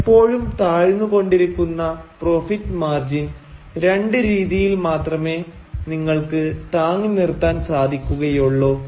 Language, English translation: Malayalam, Now you can only sustain this ever lowering profit margin by two ways